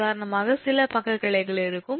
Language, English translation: Tamil, there is no lateral branches